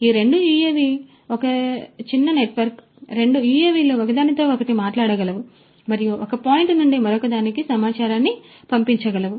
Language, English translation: Telugu, So, these two UAVs, it is a small network these two UAVs are able to talk to each other and are able to pass information from one point to the other